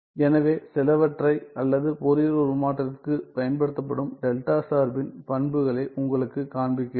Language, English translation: Tamil, So, let me just show you some cases or some properties of delta function applied to Fourier transform